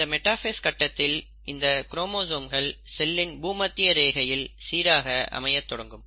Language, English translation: Tamil, Now during the metaphase, these chromosomes start arranging right at the equatorial plane of the cell